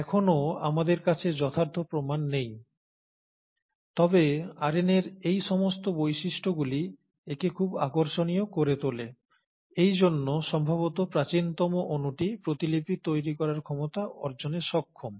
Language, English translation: Bengali, So we still don’t have concrete proof, but all these properties of RNA make it a very interesting molecule for it to be probably the earliest molecule capable of acquiring the ability to replicate